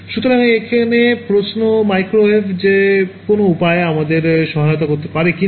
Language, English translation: Bengali, So, here is the question that can microwave help us in anyway right